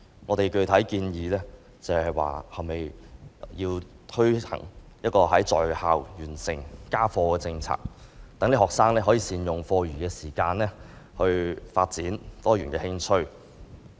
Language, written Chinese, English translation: Cantonese, 我們具體建議推行"在校完成家課"的政策，讓學生能善用課餘時間發展多元興趣。, I specifically propose implementing a policy of finishing homework at school thereby enabling students to make good use of their spare time to develop diverse interests